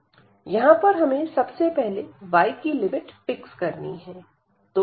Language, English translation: Hindi, So, first we have to fix the limit for y here